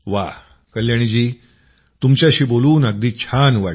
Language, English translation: Marathi, Well Kalyani ji, it was a pleasure to talk to you